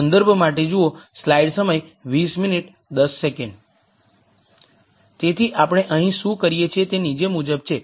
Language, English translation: Gujarati, So, what we do here is the following